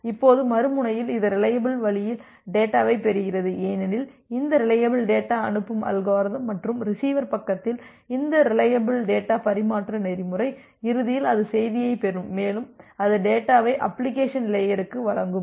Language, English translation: Tamil, Now, at the other end it receives the data in a reliable way because of this reliable data send mechanism which is there and this reliable data transfer protocol at the receiver side, eventually it will receive the message and it will deliver the data to the application layer